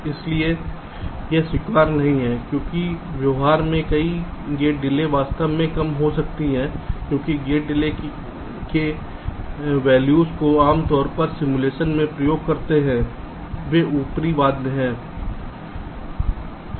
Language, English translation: Hindi, ok, so this is not acceptable because in practice many gate delays can actually get reduced because the gate delays value that we usually use in simulation they are upper bound